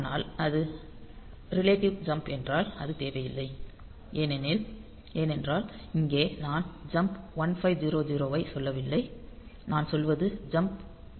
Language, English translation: Tamil, So, but if it is relative jump; so, that is not required because here is I am not telling jump 1500 what I am telling is jumped by plus 500; that means, with respect to the current location